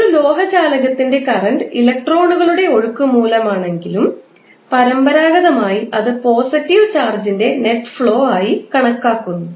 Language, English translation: Malayalam, Although current in a metallic conductor is due to flow of electrons but conventionally it is taken as current as net flow of positive charge